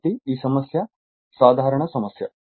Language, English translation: Telugu, So, this problem is a simple problem